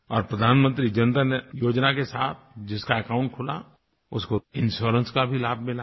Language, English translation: Hindi, And those who opened their accounts under the Pradhan Mantri Jan DhanYojna, have received the benefit of insurance as well